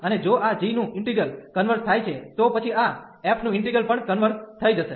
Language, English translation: Gujarati, And if the integral of this g converges, then naturally the integral of this f will also converge